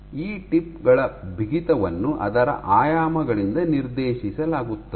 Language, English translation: Kannada, So, the stiffness of these tips is dictated by its dimensions